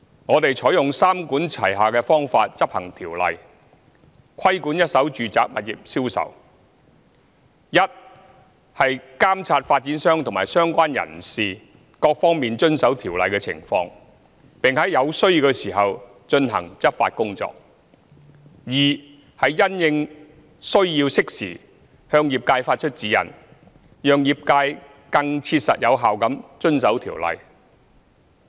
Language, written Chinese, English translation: Cantonese, 我們採用三管齊下的方法，執行《條例》，規管一手住宅物業銷售。一是監察發展商及相關人士各方面遵守《條例》的情況，並在有需要時進行執法工作。二是因應需要，適時向業界發出指引，讓業界更切實有效地遵守《條例》。, We have adopted a three - pronged approach to enforce the Ordinance in regulating the sales of first - hand residential properties Firstly monitoring developers and concerned persons compliance with the Ordinance and taking enforcement action when necessary; secondly issuing timely guidelines to the trade when necessary for the more effective and practical compliance with the Ordinance; and thirdly fostering public awareness of the Ordinance to better protect consumer interests